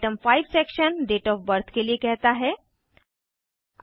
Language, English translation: Hindi, The item 5 section asks for date of birth